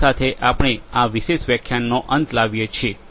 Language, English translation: Gujarati, With this we come to an end of this particular lecture